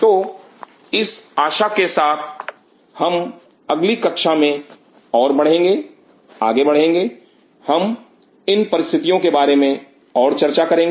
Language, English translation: Hindi, So, with this hope we will be proceeding further in the next class, we will talk little bit more about these conditions